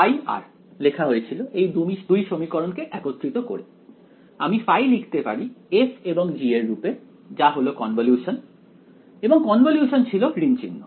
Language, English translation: Bengali, Phi of r was written as combining these 2 equations I can write phi in terms of f and g as the convolution right and that convolution was minus